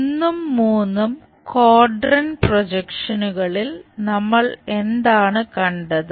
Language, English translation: Malayalam, In these 1st and 3rd quadrant projections, what we have seen